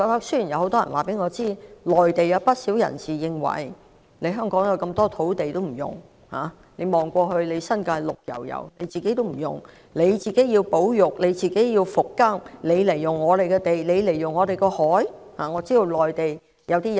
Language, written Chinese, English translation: Cantonese, 雖然很多人告訴我，內地有不少人認為，香港有這麼多土地不用，新界一片綠油油卻不用、要保育、要復耕，為甚麼要使用他們的土地和海洋？, Although many people have told me that quite a number of people in the Mainland think that there is so much land not yet developed in Hong Kong with the New Territories being lush green but left idle for conservation and agricultural rehabilitation why should we set eyes on their land and sea?